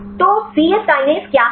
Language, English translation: Hindi, So, what is c yes kinase